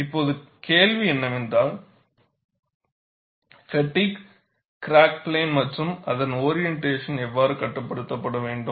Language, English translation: Tamil, Now, the question is, how the fatigue crack plane and its orientation has to be controlled